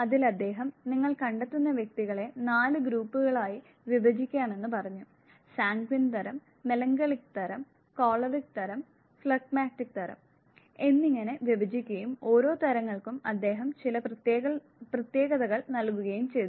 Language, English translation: Malayalam, Where he said that find you can divide individuals into four groups, the Sanguine types, The melancholic types, The Choleric type and the Phlegmatic type and each of these types, he gave certain characteristics